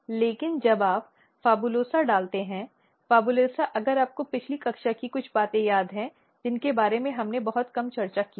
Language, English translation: Hindi, But when you put PHABULOSA ; PHABULOSA if you recall some of the previous class we have little bit discussed about it